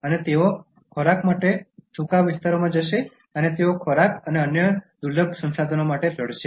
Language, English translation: Gujarati, And they will move to dry areas for food and they will fight for food and other scarce resources